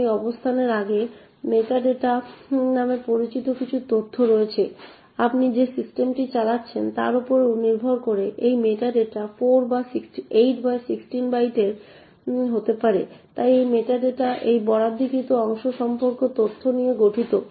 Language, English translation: Bengali, Now prior to this location there are some information known as meta data, this meta data could be either of 8 or 16 bytes depending on the system that you are running, so this meta data comprises of information about this allocated chunk